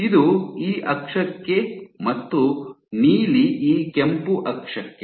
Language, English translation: Kannada, This is for this axis and the blue is for this red axis